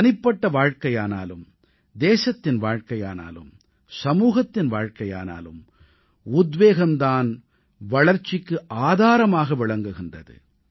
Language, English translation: Tamil, Whether it is the life of a person, life of a nation, or the lifespan of a society, inspiration, is the basis of progress